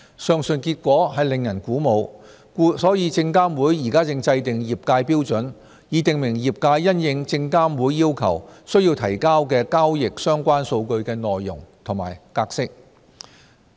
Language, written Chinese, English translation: Cantonese, 上述結果令人鼓舞，故證監會現正制訂業界標準，以訂明業界因應證監會要求須提交的交易相關數據的內容及格式。, The results are encouraging thus SFC is now standardizing the contents and formats of transactions - related data required to be submitted by industry players